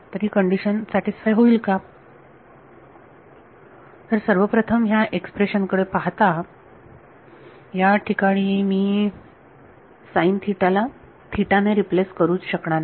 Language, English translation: Marathi, So, will this condition still be satisfied; so, first of all looking at this expression over here I can no longer replace sin theta by theta